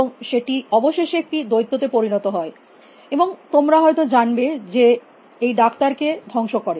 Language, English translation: Bengali, And eventually, became like a monster, who would you known destroy is the doctors essentially